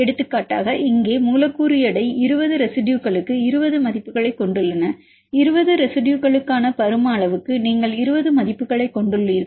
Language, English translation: Tamil, For example, here the molecule weights you have 20 values for the 20 residues, for the volume for 20 residues you have 20 values